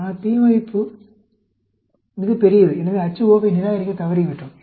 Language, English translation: Tamil, But, the p value is much larger, so, we failed to reject the H naught